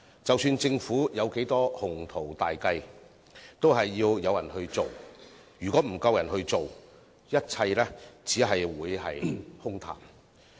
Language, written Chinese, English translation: Cantonese, 即使政府滿腹鴻圖大計，都需要工人來推行，否則所有計劃都只會淪為空談。, However ambitious the plans of the Government may be all projects will only end up being empty talks if there are no workers for implementation